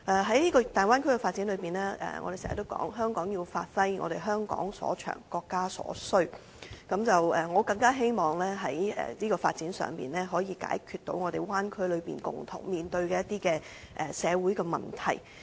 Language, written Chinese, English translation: Cantonese, 在大灣區發展中，我們經常說香港要發揮香港所長、國家所需，我更希望在這個發展上，可以解決灣區內共同面對的一些社會問題。, On the development of the Bay Area we often say that Hong Kong has to give full play to what it is good at and what the country needs . On this development I also hope that some social problems commonly faced by the cities within the Bay Area can be resolved